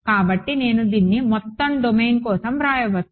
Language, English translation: Telugu, So, I may as well just write it for the entire domain